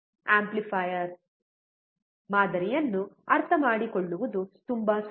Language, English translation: Kannada, Very easy to actually understand the amplifier model